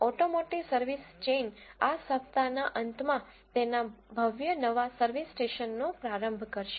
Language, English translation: Gujarati, An automotive service chain is launching its grand new service station this weekend